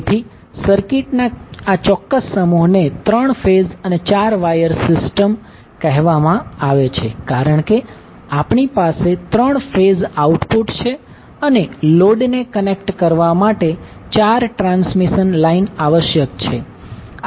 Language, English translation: Gujarati, So, this particular set of circuit is called 3 phase 4 wire system because we have 3 phase output and 4 transmission lines are required to connect to the load